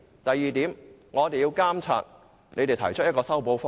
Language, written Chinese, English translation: Cantonese, 第二點，我們要監察有關方面提出的修補方案。, Second Members should monitor the remedial proposal put forward by the relevant parties